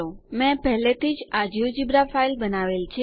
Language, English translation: Gujarati, I have already created this geogebra file